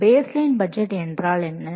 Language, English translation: Tamil, So, what is a baseline budget